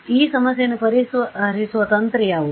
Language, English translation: Kannada, So, what can be a strategy to solve this problem